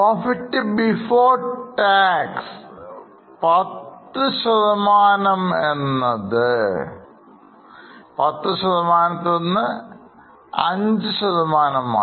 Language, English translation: Malayalam, Profit if you want to see, profit before tax has gone down from 10% to 5%